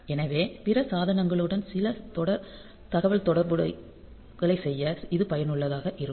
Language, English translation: Tamil, So, this is useful for doing some serial communication to other devices